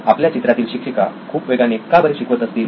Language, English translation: Marathi, Why is the teacher in our picture going very fast